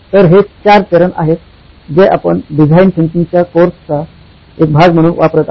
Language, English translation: Marathi, So, these are the four stages that you will be using as part of the design thinking course